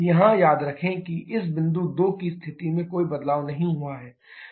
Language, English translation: Hindi, Remember here there is no change in the position of this point 2